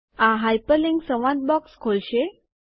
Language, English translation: Gujarati, This will open the hyperlink dialog box